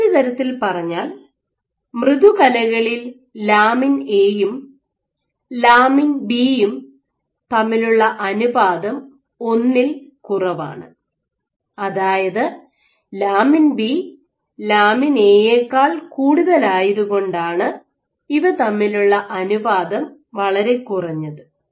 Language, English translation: Malayalam, So, in other words in soft tissues your lamin A to B ratio is less than one which means lamin B is higher lamin A ratio is very low ok